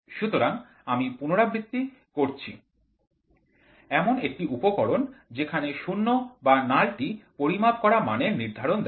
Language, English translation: Bengali, So, I repeat an instrument in which 0 or null indication determines the magnitude of the measured quantity